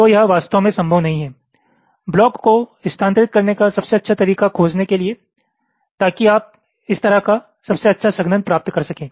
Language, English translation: Hindi, so it is not really feasible to find out the best way to move the blocks so that you can get the best compaction like this